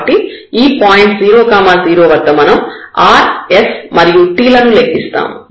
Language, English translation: Telugu, So, at this 0 0 point, we will compute rs and t